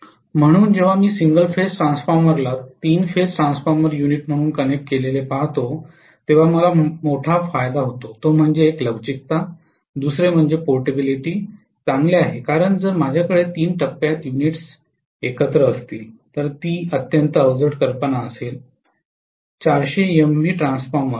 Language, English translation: Marathi, So when I look at the single phase transformer being connected as the three phase transformer unit the major advantage as I told you One is flexibility, second is the portability is better because if I have three phase units together it will be extremely bulky imagine a 400 MVA Transformer